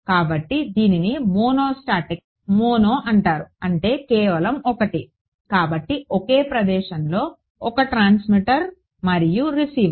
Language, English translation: Telugu, So, this is called a mono static mono means just one right; so, one transmitter and receiver at the same location